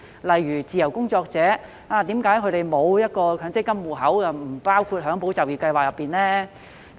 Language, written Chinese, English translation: Cantonese, 例如，為何自由工作者因沒有強制性公積金戶口便不獲包括在"保就業"計劃內呢？, For example why are freelancers excluded from the Employment Support Scheme just because they do not have a Mandatory Provident Fund account?